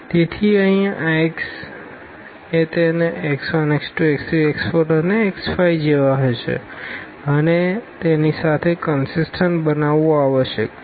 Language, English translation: Gujarati, So, this x here must be to make it consistent with this a will have like x 1, x 2, x 3, x 4 and x 5